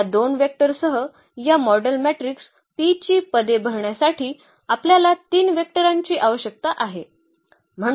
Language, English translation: Marathi, So, with these 2 vectors because we need 3 vectors to fill the positions of this model matrix P